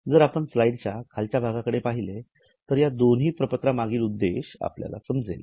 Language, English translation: Marathi, If you look at the bottom part of the slide, it is sort of trying to tell the purpose of these two statements